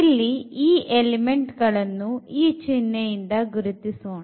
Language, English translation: Kannada, So, these elements denoted by this symbol here